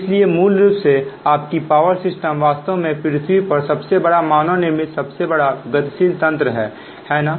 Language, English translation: Hindi, so basically that your power system actually is the largest man made, largest dynamic system on the earth